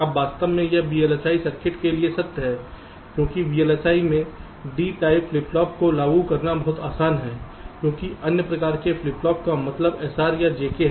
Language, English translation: Hindi, now, in fact this is true for v l s i circuits because in v l s i it is much easier to implement d type flip flops as compared to means other type of flip flop, that s r or j k